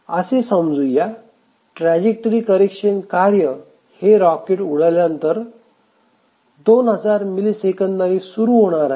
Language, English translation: Marathi, Let's say that the track corrections task starts after 2,000 milliseconds of the launch of the rocket